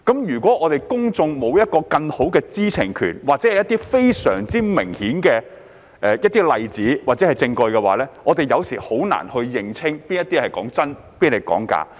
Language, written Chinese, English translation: Cantonese, 如果公眾沒有更大的知情權或非常明顯的例子或證據，有時候很難認清哪些信息是真、哪些是假。, If the public is not given a greater right to know or access to very clear examples or evidence sometimes it will be difficult for them to tell which piece of information is true and which is false